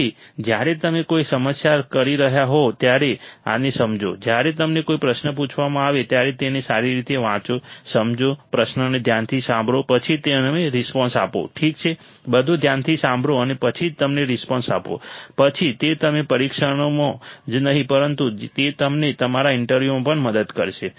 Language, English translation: Gujarati, So, understand this when you are doing a problem, read it thoroughly when you are asked a question, understand, listen to the question carefully then you respond alright listen to everything carefully then only you respond, then it will help you not only in your exams that will help you also in your interviews